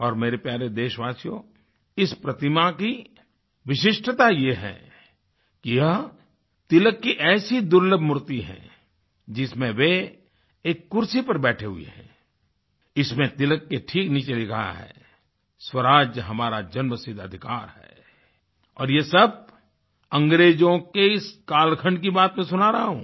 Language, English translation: Hindi, And my dear countrymen, the speciality about this statue is that this is a rare statue of Tilakji in which he is sitting in a chair and in this "Swaraj is our birthright" "Swaraj Hamara Janma Sidhha Adhikar Hai" is inscribed right below Tilakji's statue